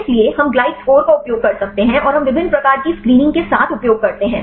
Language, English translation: Hindi, So, we can use the glide score and we use with different types of screening